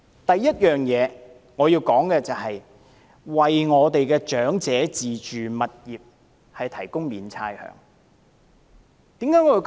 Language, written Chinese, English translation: Cantonese, 第一，我們要為長者的自住物業提供免差餉優惠。, Firstly we should waive the rates for owner - occupied properties of the elderly